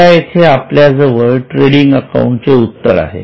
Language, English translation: Marathi, So, here we are now this is a solution of trading account